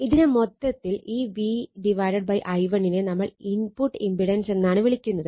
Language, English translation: Malayalam, So, this is actually we call V upon i 1, this total we call the input impedance